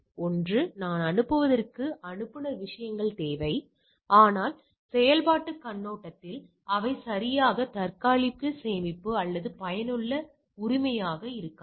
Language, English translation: Tamil, One is that, I sends requires sender things, but from the operational point of view they not then that may not be very cache or helpful right